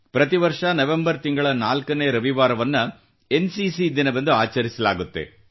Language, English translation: Kannada, As you know, every year, the fourth Sunday of the month of November is celebrated as NCC Day